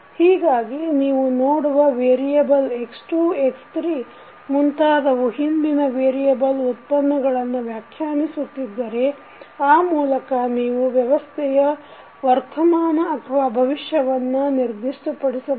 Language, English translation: Kannada, So, the variable which you have seen x2, x3 and so on are somehow defining the derivative of the previous variable so with this you can specify the system performance that is present or future condition of the system